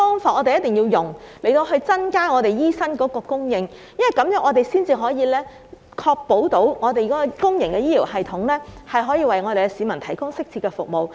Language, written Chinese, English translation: Cantonese, 我們要用不同的方法增加醫生的供應，這樣才能確保公營醫療系統可以為市民提供適切的服務。, We should adopt different approaches to increase the supply of doctors to ensure that the public healthcare system can provide appropriate services to the public